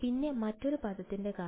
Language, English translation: Malayalam, And what about the other term